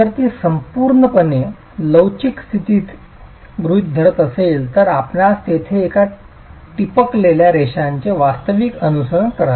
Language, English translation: Marathi, If it were assuming fully elastic condition you will have, you will actually follow those dotted lines there